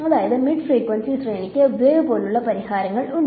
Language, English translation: Malayalam, So, the mid frequency range has wave like solutions ok